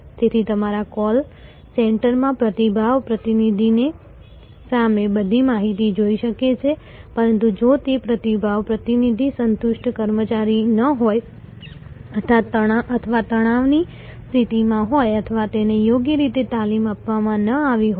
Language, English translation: Gujarati, So, your call center may have all the information in front of the response representative, but if that response representative is not a satisfied employee or is in a state of stress or has not been properly trained